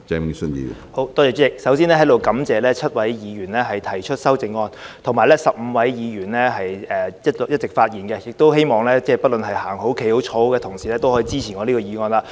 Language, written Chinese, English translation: Cantonese, 主席，首先在這裏感謝7位議員提出修正案，以及15位議員發言，亦希望不論是走着、站着、坐着的同事也能夠支持我提出的議案。, President to begin with I wish to take this opportunity to thank the seven Members for their amendments and also the 15 Members for their speeches . I also hope that Members whether they are now walking standing or sitting can support my motion